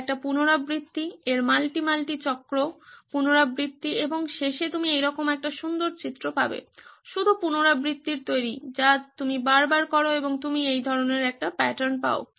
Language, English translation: Bengali, Its an iteration, its multi multi cycle iteration and in the end you will get a beautiful image like this, just made of iterations something that you do over and over and over again and you get this kind of a pattern